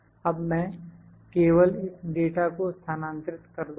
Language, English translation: Hindi, I will just now move this data